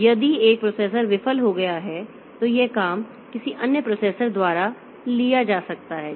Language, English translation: Hindi, So, you can if one processor has failed, so the job can be taken up by any other processor